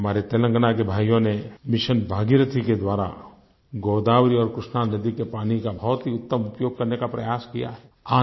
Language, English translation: Hindi, Our farmer brothers in Telangana, through 'Mission Bhagirathi' have made a commendable effort to optimally use the waters of Godavari and Krishna rivers